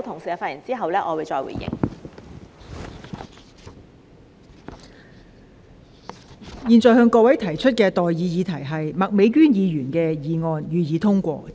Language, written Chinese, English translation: Cantonese, 我現在向各位提出的待議議題是：麥美娟議員動議的議案，予以通過。, I now propose the question to you and that is That the motion moved by Ms Alice MAK be passed